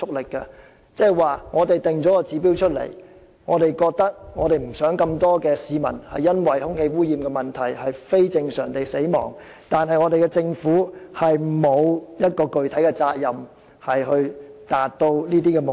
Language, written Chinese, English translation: Cantonese, 換言之，儘管訂下了指標，希望不會有這麼多市民因為空氣污染問題而非正常地死亡，但政府卻沒有具體責任要達到這些指標。, In other words although air quality guidelines are adopted in the hope of minimizing cases of unnatural deaths caused by the air pollution problem the Government has no specific responsibility to meet such objectives